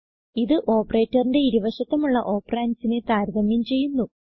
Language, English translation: Malayalam, This operator compares the two operands on either side of the operator